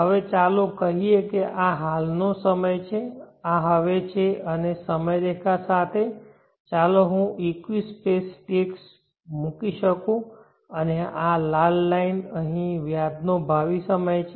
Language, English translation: Gujarati, Now let us say this is the present time, this is now and along the time line let me put the equi space ticks and this red line here is a future time of interest